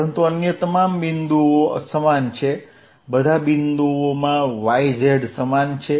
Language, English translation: Gujarati, But, all other the points they have the same, all the points have same y and z b c